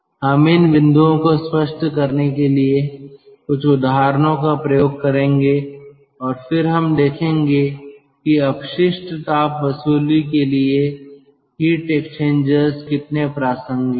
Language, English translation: Hindi, we will pick up certain examples to clarify these points and then we will see how the heat exchangers are very relevant for waste heat recovery